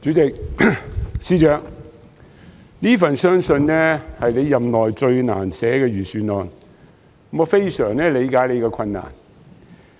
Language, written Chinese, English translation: Cantonese, 主席，相信這份是司長任內最難寫的財政預算案，我非常理解他的困難。, President I believe this is the most difficult Budget ever written by the Financial Secretary FS during his term of office and I fully understand his difficulties